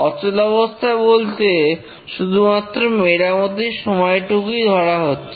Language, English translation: Bengali, The only downtime is due to the repair time